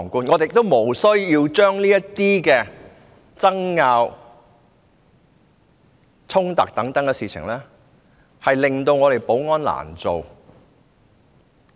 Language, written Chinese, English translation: Cantonese, 我們也不需要為這些爭拗、衝突等事令立法會的保安人員難做。, In fact it is not necessary for us to make life difficult for our security officers because of arguments and confrontations etc